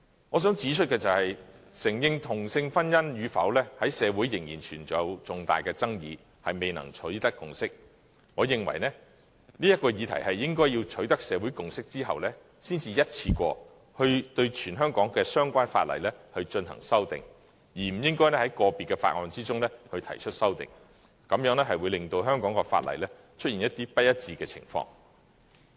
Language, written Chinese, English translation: Cantonese, 我想指出，承認同性婚姻與否在社會仍然存在重大的爭議，未能取得共識。我認為，應在這議題取得社會共識後，才一次過對全香港的相關法例進行修訂，而不應該在個別的法案中提出修訂，這會令香港的法例出現不一致的情況。, As the issue of whether same - sex marriage should be recognized is still highly controversial in society and a consensus is yet to be reached I think only when a social consensus is reached should we make amendments to the relevant laws of Hong Kong in one go instead of proposing amendments to individual bills which may give rise to discrepancies in the laws of Hong Kong